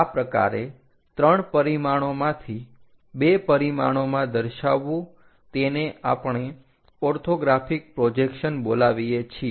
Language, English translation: Gujarati, Such kind of 2 dimensional plots from 3 dimensional, we call as orthographic projections